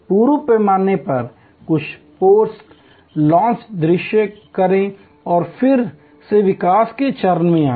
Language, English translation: Hindi, In full scale, do some post launch view and then, again come to the development stage